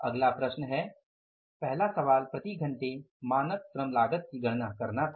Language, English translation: Hindi, Next question is first question was to calculate the standard labor cost per hour